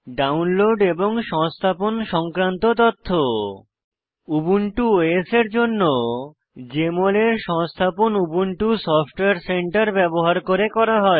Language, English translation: Bengali, Information regarding Download and Installation For Ubuntu OS, installation of Jmol is done using Ubuntu Software Center